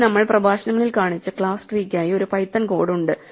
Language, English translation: Malayalam, Here we have a python code for the class tree that we showed in the lectures